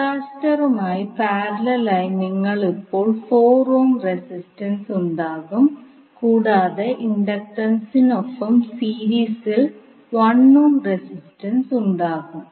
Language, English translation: Malayalam, You will have 4 ohm resistance in parallel now with the capacitor and the inductor and resistance will be in series that is 1 ohm resistance in series with the inductance